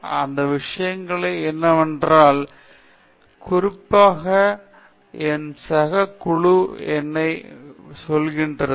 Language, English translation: Tamil, But the thing is that ultimately whatever especially what my peer group says to me